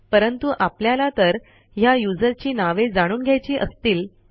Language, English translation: Marathi, But what if we need to know the names of the users